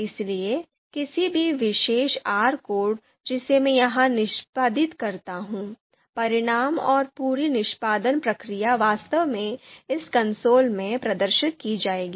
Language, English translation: Hindi, So any any particular R code that I execute here, the results and the whole execution process would actually be displayed in this console